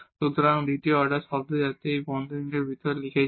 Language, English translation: Bengali, So, the second order term so that also we have written inside this these parentheses